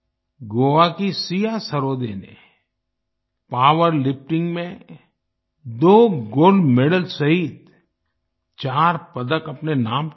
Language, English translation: Hindi, Siya Sarode of Goa won 4 medals including 2 Gold Medals in power lifting